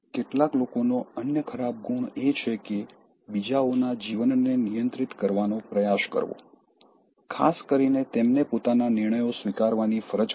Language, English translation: Gujarati, The other bad quality in some people is, trying to control other’s life, especially by forcing them to accept one’s own decisions